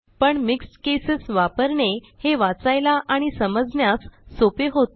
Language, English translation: Marathi, But using mixed cases, can be easy to read and understand